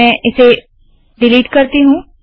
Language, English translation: Hindi, Let me delete this